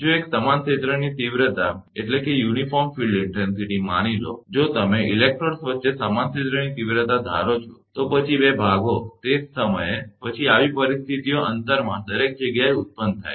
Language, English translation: Gujarati, If a uniform field intensity suppose, if you assume uniform field intensity between the electrodes, just as well two parts right then, such conditions are produced every everywhere in the gap